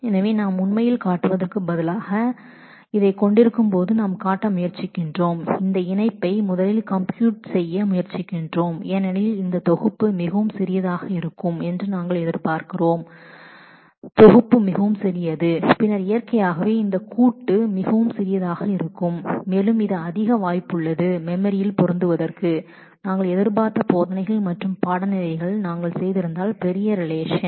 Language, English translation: Tamil, So, what we are trying to show is when we are having this instead of actually are actually trying to compute this join first because we expect that this set to be much smaller, if this set is much smaller then naturally this joint would be much smaller and it is more likely to fit into the memory then if we had just done teaches and course id’s which I expected to be large relations